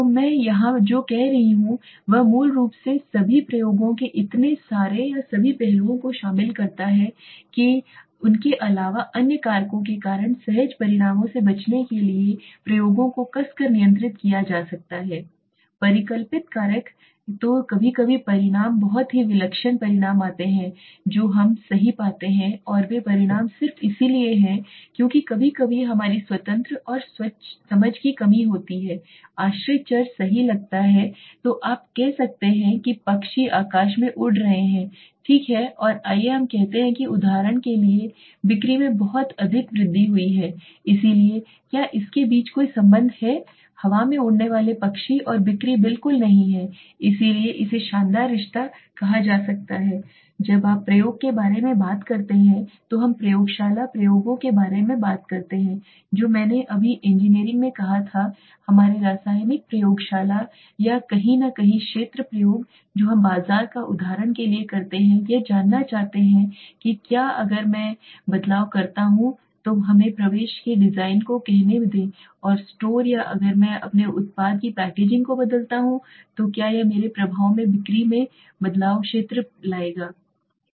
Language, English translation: Hindi, So what I am saying here is it basically includes all the experiments so many or all aspects of the experiments can be tightly controlled to avoid spurious results due to factors other than the hypothesized causative factor so sometimes the results comes very eccentric results we get right and those results are just because sometimes of a lack of understanding of our independent and dependent variables right so suppose you say tomorrow that birds are flying in the sky right and let us say there was a lot of increase in sales for example so is there any connection between the birds flying in the air and sales no not at all so this are called spurious relationships okay so when you talk about experiment we talk about lab experiments that I just said in engineering in our chemical lab or somewhere field experiments what we do on field for example the marketer wants to know if whether if I increase the if I change the let us say the design of the entry to the store or if I change the packaging of the of my product will it change in my effect the sales so the field experiments